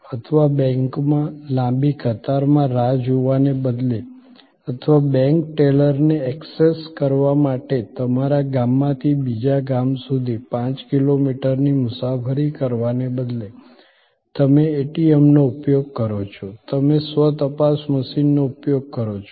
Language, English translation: Gujarati, Or, instead of waiting at a long queue at a bank or instead of traveling five kilometers from your village to the next village for accessing the bank teller, you use an ATM, you use the self checking machine